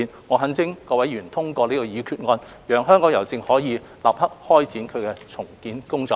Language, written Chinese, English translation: Cantonese, 我懇請各位議員通過這項決議案，讓香港郵政可以立刻開展其重建工作。, I implore Members to support the passage of the resolution so that Hongkong Post can commence the redevelopment work immediately